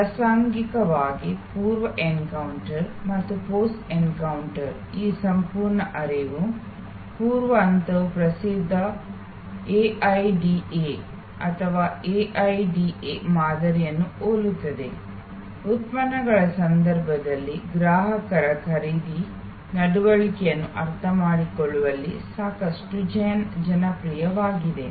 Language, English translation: Kannada, Incidentally, this whole flow of pre encounter and post encounter of that, the pre stage is similar to the famous AIDA or AIDA model, quite popular in understanding consumer's buying behavior in case of products